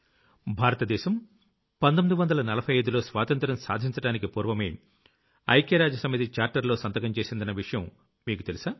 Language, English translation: Telugu, Do you know that India had signed the Charter of the United Nations in 1945 prior to independence